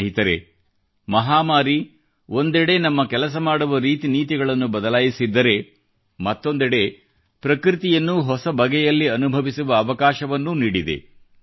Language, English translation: Kannada, Friends, the pandemic has on the one hand changed our ways of working; on the other it has provided us with an opportunity to experience nature in a new manner